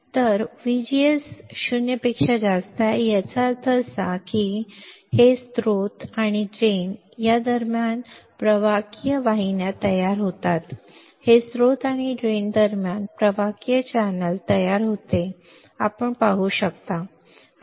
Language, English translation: Marathi, Now, VGS is greater than 0; that means, inversion is there conductive channels forms between source and drain right this is conductive channel is formed between source and drain as you can see